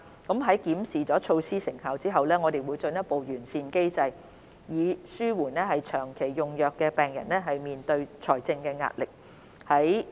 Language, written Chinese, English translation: Cantonese, 在檢視措施成效後，我們會進一步完善機制，以紓緩長期用藥病人面對的財政壓力。, After reviewing the effectiveness of the measures we will further refine the mechanism so as to alleviate the financial pressure faced by patients on long - term medication